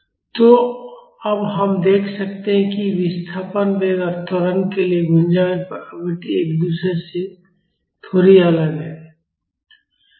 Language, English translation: Hindi, So, now we can see that the resonant frequency for displacement velocity and acceleration are slightly different from each other